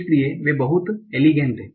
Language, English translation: Hindi, So it is very very elegant